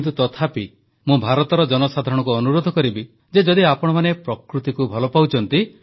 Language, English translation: Odia, But even then I will urge the people of India that if you love nature,